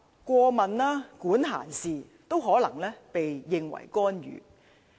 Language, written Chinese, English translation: Cantonese, 過問、管閒事，都可能被認為是干預。, Enquiring and meddling may be regarded as interfering